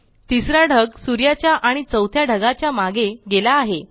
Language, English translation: Marathi, Cloud 3 is now behind both the sun and cloud 4